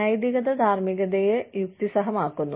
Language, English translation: Malayalam, Morality ethics, rationalizes morality